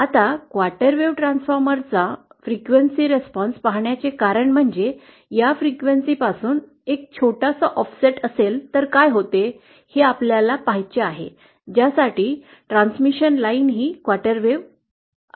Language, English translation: Marathi, Now the reason we see the frequency response of the quarter wave transformer is because, we want to see what happens at say a small offset from this frequency for which the transmission line is a quarter wave is of quarter wave